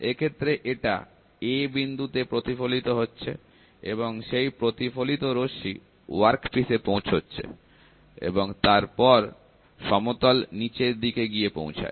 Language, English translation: Bengali, So, this reflects at a, this reflects reaches the workpiece, reaches the flat bottom side and goes